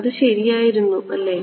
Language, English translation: Malayalam, It was correct right